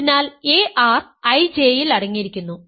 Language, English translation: Malayalam, So, this implies ar is contained in I J ok